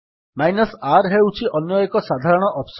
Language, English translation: Odia, The other common option is the r option